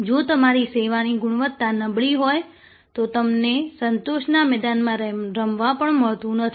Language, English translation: Gujarati, If your service quality is poor, then you do not even get to play in the satisfaction arena